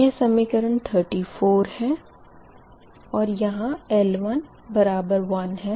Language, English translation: Hindi, this is equation thirty four